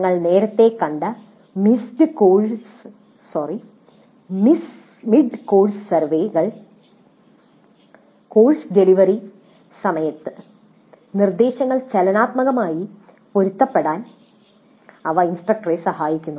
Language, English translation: Malayalam, Mid course surveys which we saw earlier, they do help the instructor to dynamically adopt instruction during the course delivery